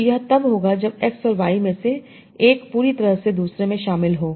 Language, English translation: Hindi, So this will happen when one of x and y is completely included in the other